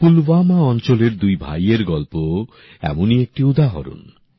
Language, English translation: Bengali, The story of two brothers from Pulwama is also an example of this